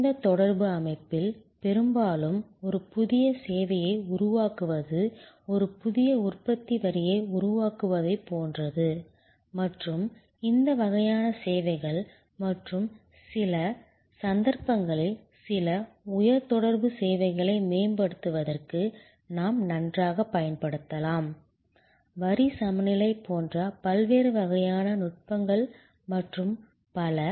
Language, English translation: Tamil, In case of a low contact system, often the creation of a new service is very similar to creation of a new manufacturing line and in this kind of services and even in some cases, some high contact services, we can very well use for improving the service, various kinds of techniques like line balancing and so on